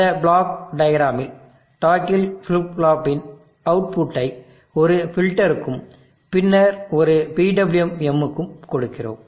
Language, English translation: Tamil, In this block diagram, we are giving the output of the toggle flip flop to a filter and then to a PWM